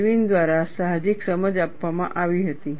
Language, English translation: Gujarati, The intuitive understanding was provided by Irwin